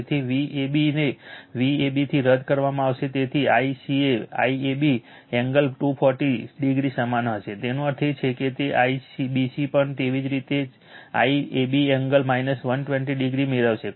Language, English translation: Gujarati, So, so V ab V ab will be cancelled therefore, I CA will be equal to I AB angle minus 24 240 degree; that means, also IBC similarly you will get I AB angle minus 120 degree